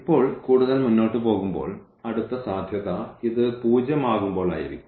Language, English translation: Malayalam, So, now moving further the next possibility will be when this is 0